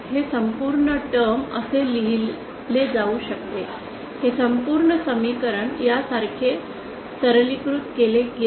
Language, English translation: Marathi, This whole term can be written like ,this whole equation simplified like this